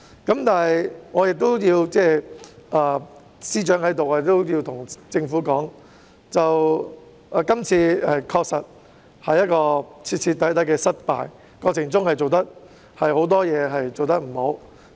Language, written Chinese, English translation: Cantonese, 現在司長也在席，我想對政府說，這次修例確實是徹徹底底的失敗，過程中有很多事情處理欠佳。, The Chief Secretary is also present in this Chamber now so I wish to tell the Government that the legislative amendment exercise is indeed a complete failure . Plenty of work has been handled poorly in the entire course